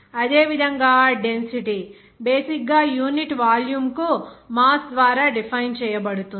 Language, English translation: Telugu, And similarly, density is basically that defined by mass per unit volume